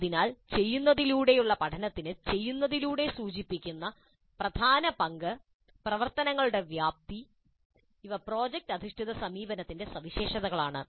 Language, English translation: Malayalam, So the central role accorded to learning by doing and the scope of activities implied by doing, these are the distinguishing features of product based approach